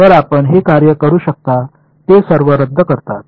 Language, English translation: Marathi, So, you can work it out they all cancel off